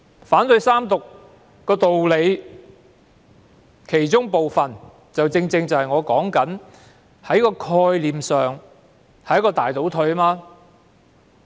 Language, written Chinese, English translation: Cantonese, 反對三讀的部分原因，正正是《條例草案》在概念上是一個大倒退。, Part of the reason why I oppose the Third Reading is that conceptually the Bill represents a major retrogression